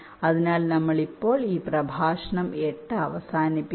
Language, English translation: Malayalam, ok, so just we end, ah, this lecture eight now